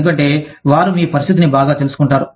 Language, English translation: Telugu, Because, you feel that, they will know your situation, better